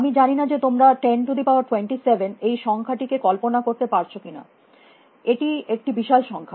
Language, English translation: Bengali, I do not know whether you can visualize the number 10 raise to 27, but you should try; it is a huge number